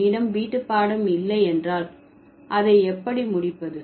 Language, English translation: Tamil, If I don't have homework, how can I finish it